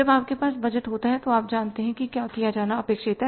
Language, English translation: Hindi, When you have the budget, you know what is expected to be done